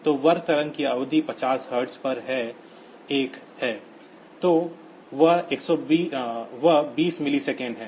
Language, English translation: Hindi, So, period of the square wave is 1 upon 50 hertz; so, that is 20 millisecond